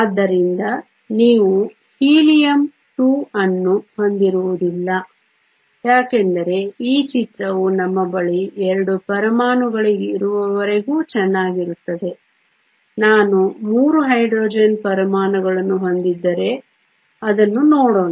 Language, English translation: Kannada, So, That is why you will not have Helium 2 this picture is good enough as long as we have 2 atoms now what if I had 3 Hydrogen atoms let us look at that